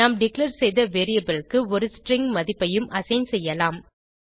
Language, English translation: Tamil, We can also assign a string value to the variable we declared